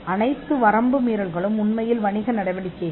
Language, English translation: Tamil, And all the acts of infringement are actually business activities